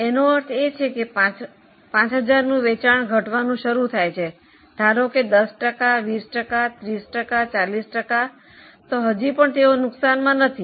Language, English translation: Gujarati, What it means is suppose their sale of 5,000 starts calling, let us say by 10%, 20%, 30%, 40%, they are still not in losses